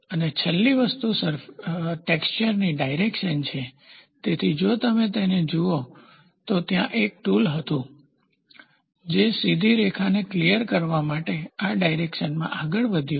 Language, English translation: Gujarati, And the last thing lay or direction of texture, so if you look at it there was a tool, which has moved in this direction to clear a straight line